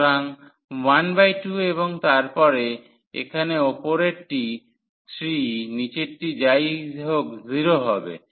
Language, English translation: Bengali, So, 1 by 2 and then that is post the upper one here 3 lower one will make anyway 0